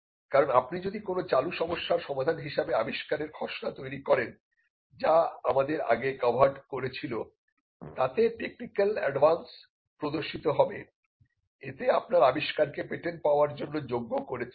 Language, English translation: Bengali, Because if you draft an invention as a solution to an existing problem, it would demonstrate technical advance what we had covered earlier, and it would also qualify your invention as a patentable invention